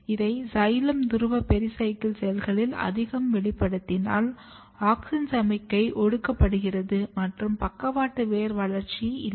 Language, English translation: Tamil, So, if you over express this in xylem pole pericycle cells what happens that, auxin signalling is suppressed and you do not have lateral root development